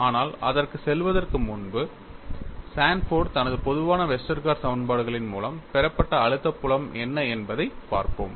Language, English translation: Tamil, You will also go to that; but before going to that, we will look at what was the stress field obtained by Sanford through his generalized Westergaard equations